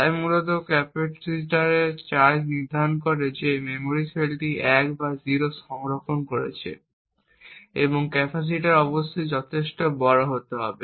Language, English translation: Bengali, So essentially the charge of the capacitor defines whether this memory cell is storing a 1 or a 0 and capacitor must be large enough